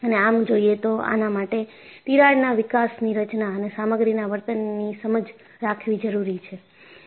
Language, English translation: Gujarati, And obviously, this requires an understanding of crack growth mechanisms and material behaviour